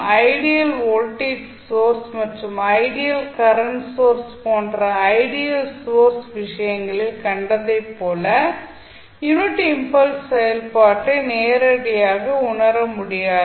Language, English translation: Tamil, Now, although the unit impulse function is not physically realizable similar to what we have seen in the case of ideal sources like ideal voltage source and ideal current source